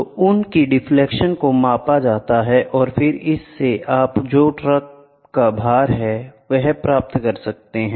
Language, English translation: Hindi, So, those deflections are measured and then that gives you what is a load of the truck, ok